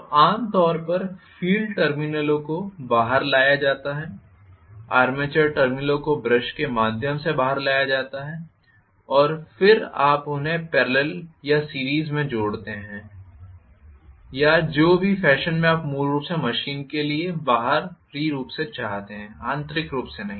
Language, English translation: Hindi, Not inside the machine so generally the field terminals are brought out, the armature terminals are brought out through the brushes, then you connect them in parallel or in series or in whatever fashion you want basically external to the machine not internal internally they are never connected